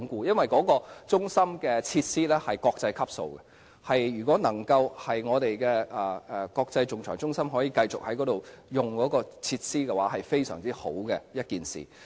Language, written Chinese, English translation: Cantonese, 因為那個中心的設施屬國際級，如果國際仲裁中心可以繼續使用該處的設施，是一件非常好的事。, As the centre is equipped with facilities that reach international standard it will be wonderful if HKIAC can continue to use the facilities of that centre